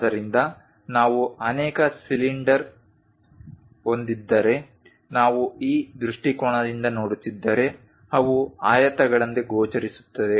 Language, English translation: Kannada, So, if we have multiple cylinders such kind of thing, if we are looking from this view they appear like rectangles